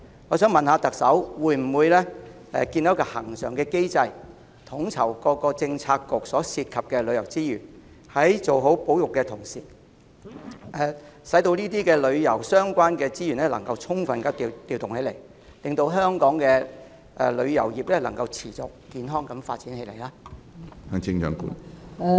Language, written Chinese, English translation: Cantonese, 我想問特首會否建立恆常機制，以統籌各政策局所涉及的旅遊資源，在做好保育之餘，也能夠充分利用這些與旅遊相關的資源，令香港的旅遊業可持續健康地發展？, May I ask the Chief Executive whether a standing mechanism will be established for the coordination of tourism resources among various Policy Bureaux in order to fully utilize these tourism resources while carrying out effective conservation so that Hong Kongs tourism industry can develop sustainably and healthily?